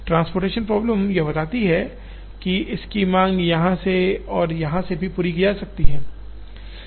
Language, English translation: Hindi, Transportation problem would allow that the demand of this can be met from here as well as here